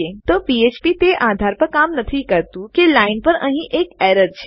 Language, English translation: Gujarati, So php doesnt work on the basis that theres an error on this line